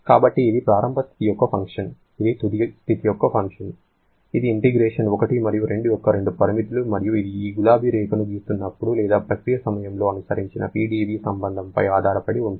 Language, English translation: Telugu, So, it is a function of the initial state, it is a function of the final state that is these are the two limits of the integration 1 and 2 and what else it can depend on, it definitely depends upon the PdV relation that has been followed while plotting this pink line or during the process